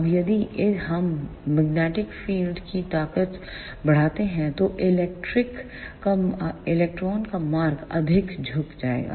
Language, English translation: Hindi, Now, if we increase the magnetic field strength, then the path of electron will be bent more